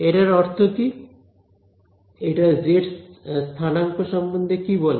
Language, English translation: Bengali, So, what does that mean, what does that tell us about the z coordinate